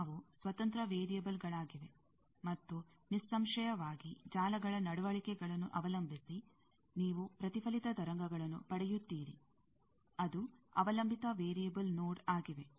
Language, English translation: Kannada, They are the independent variables; and obviously, depending on the networks behavior, you get a reflected wave, that is a dependent variable node